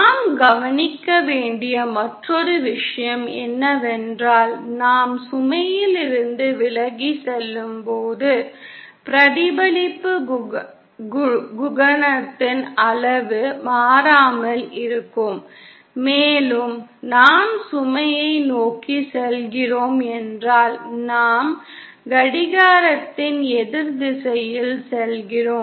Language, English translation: Tamil, The other thing that we note is that the magnitude of the reflection coefficient as we go away from the load remains constant and if we are going towards the load, then we move in an anticlockwise direction